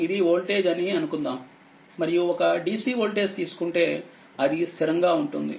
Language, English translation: Telugu, Suppose, this is time right and this is voltage and if you take a dc voltage, it is a constant